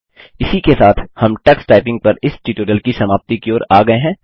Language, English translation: Hindi, This brings us to the end of this tutorial on Tux Typing